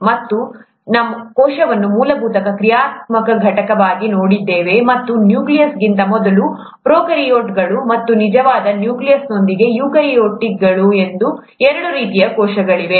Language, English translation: Kannada, And then, we looked at the cell as the fundamental functional unit and there being two types of cells, prokaryotes, before nucleus, and eukaryotes, with a true nucleus